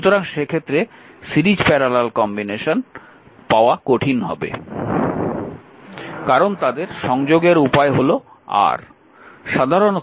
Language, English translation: Bengali, So, in that case you will find a difficult to get series parabola combination, because the way their connections R right